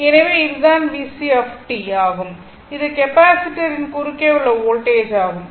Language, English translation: Tamil, And then, you have to find out what is the voltage across the capacitor